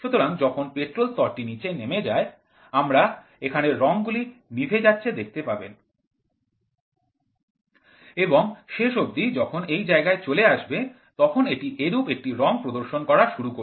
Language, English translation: Bengali, So, as and when the petrol level goes down, so you can see here also the color will be switched off and finally, when it comes to this portion it will start displaying it in that color